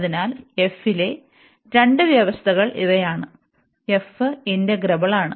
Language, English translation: Malayalam, So, these are the two conditions on f, f is integrable